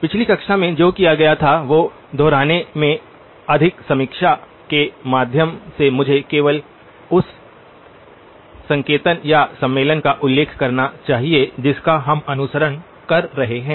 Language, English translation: Hindi, By way of review more than repeating what was done in the last class, let me just mention the notation or the convention that we are following